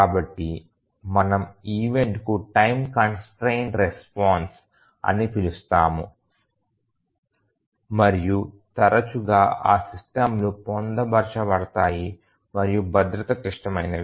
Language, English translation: Telugu, So, that we call as the time constrained response to the events and often these systems are embed and safety critical